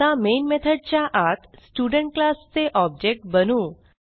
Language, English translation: Marathi, Now inside the main method I will create an object of the Student class